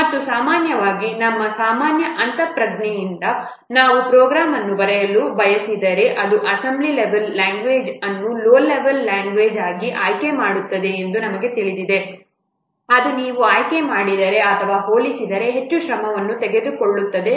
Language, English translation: Kannada, And normally from our normal intuition we know that if we want to write a program then if we will choose this assembly level language which is a low level language it will take more effort than in comparison to the thing that if you will choose a high level language such as C or C plus to write down the same program